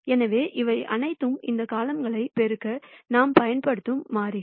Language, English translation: Tamil, So, these are all constants that we are using to multiply these columns